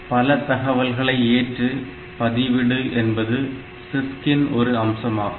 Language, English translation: Tamil, So, this multiple load store is a CISC feature